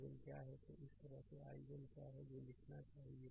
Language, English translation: Hindi, So, this way you should ah what is i 1 that we should write right